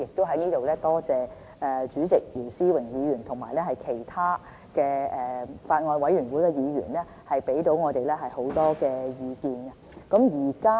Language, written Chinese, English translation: Cantonese, 我亦在這裏多謝主席姚思榮議員和其他法案委員會的議員，給予我們很多意見。, Here I wish to thank Chairman Mr YIU Si - wing and the members of the Bills Committee for the many opinions given to us